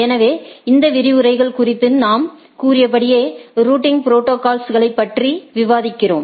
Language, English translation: Tamil, So, as we discussed if we look at the dynamic routing protocol